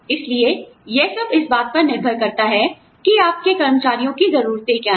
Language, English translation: Hindi, So, it all depends on, what your employees